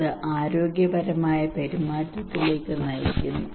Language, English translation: Malayalam, That leads to health behaviour